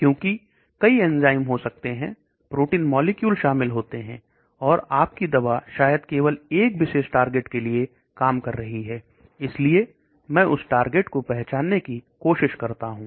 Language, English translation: Hindi, Because there could be many enzymes, proteins, molecules are involved, and your drug maybe working only one particular target, so I try to identify which target